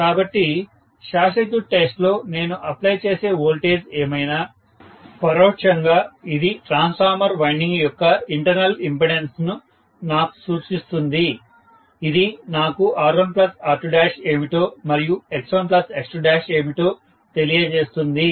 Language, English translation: Telugu, So, under short circuit test, whatever is the voltage I apply, indirectly it gives me an indication of what are the internal impedances of the winding of the transformer, it gives me a feel for what is R1 plus R2 dash, what is X1 plus X2 dash